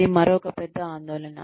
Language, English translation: Telugu, That is another big concern